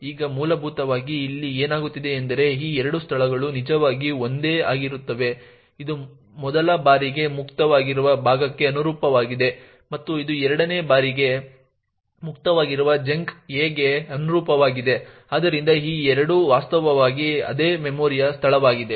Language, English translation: Kannada, Now essentially what is happening here is these two locations are what are actually the same this corresponds to the chunk a of which is free the for the first time and this corresponds to the chunk a again which is free for the second time, so these two are in fact the same memory location